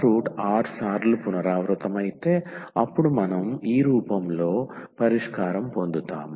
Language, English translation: Telugu, So, if alpha is alpha root is repeated r times then we will get the solution in this form